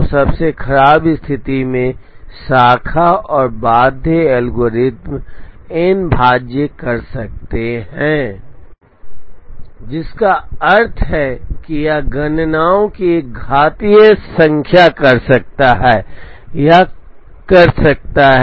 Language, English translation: Hindi, So, in the worst case the branch and bound algorithm can do n factorial, which means that it will or can do an exponential number of computations